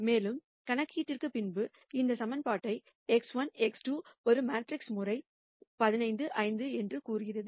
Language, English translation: Tamil, And then doing the calculation gives us this equation which says x 1 x 2 is a matrix times 15 5